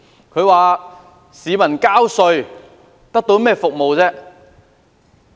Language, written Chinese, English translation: Cantonese, 他質疑市民交稅得到甚麼服務。, He queried what services people could get after paying taxes